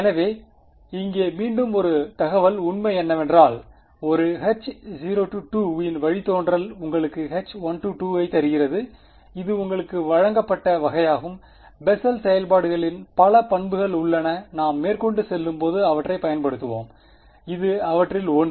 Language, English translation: Tamil, So, here is again piece of information fact its given to you that the derivative of a Hankel 2 gives you Hankel 1 this is sort of given to you right there are many many properties of Bessel functions which we will use as we go and this is one of them